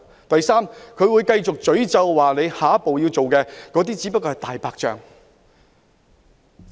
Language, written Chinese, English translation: Cantonese, 第三，他們會繼續責罵下一步所做的仍然只是"大白象"。, Third they will continue to criticize the work to be done in the next step as a mere white elephant